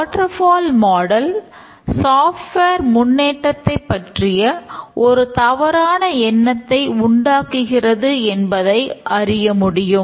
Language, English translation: Tamil, So, the waterfall model often observed that it gives a false impression of progress